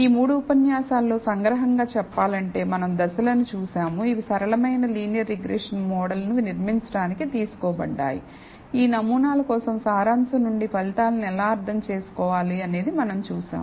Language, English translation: Telugu, So, to summarize in this three lectures, we looked at the steps, which are taken in building a simple linear regression model, we saw how to interpret the results from the summary, for these models